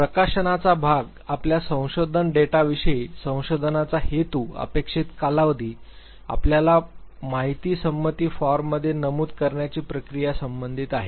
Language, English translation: Marathi, As for as the publication part is concerned of your research data, the purpose of the research, the expected duration, the procedure you have to mention in the informed consent form